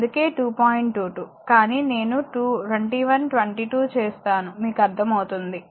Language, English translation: Telugu, 22, but I will make 21 20 like the understandable to you, right